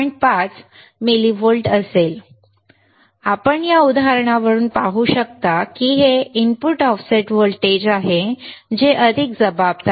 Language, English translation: Marathi, 5 millivolts (Refer Time: 14:24) you can be seen from this example that it is the input offset voltage which is more responsible right